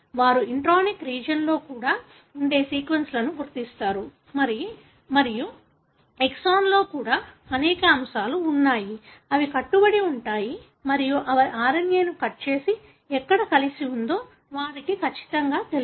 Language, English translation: Telugu, They identify sequences that are present even in the intronic region and there are many elements even present in the exon, which bind and they know exactly where they have to cut the RNA and join together